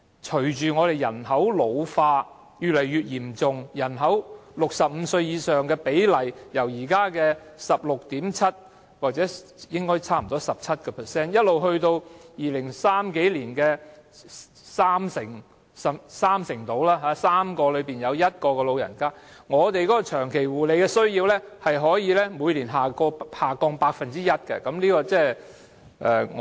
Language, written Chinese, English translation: Cantonese, 隨着人口老化越來越嚴重 ，65 歲以上人口的比例，現時為 16.7% 或差不多 17%， 但到2030年以後，將上升至三成，即每3個人中有1個是長者，但長期護理的需要可以每年下降 1%。, As the problem of population ageing worsens the ratio of the population aged 65 or above which is 16.7 % or close to 17 % at present will increase to 30 % by 2030 . In other words one out of three persons will be an elderly person yet the demand for long - term care will decrease by 1 % every year